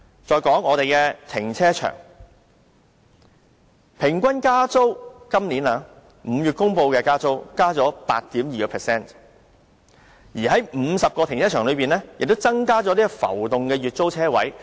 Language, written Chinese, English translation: Cantonese, 再說停車場，今年5月公布的平均租金增幅為 8.2%， 而在50個停車場中亦增加浮動的月租車位。, Let me go on to talk about car parks . In May this year the average rental increase was announced to be 8.2 % and the number of monthly floating parking spaces has been increased in 50 car parks